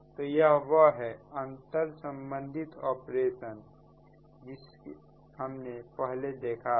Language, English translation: Hindi, so this is that interconnected operations